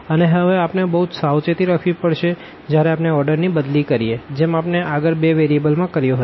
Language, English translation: Gujarati, And we have to be very careful now, once we change the order similar to what we have done in case of 2 variables